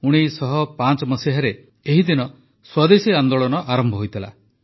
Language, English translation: Odia, On this very day in 1905, the Swadeshi Andolan had begun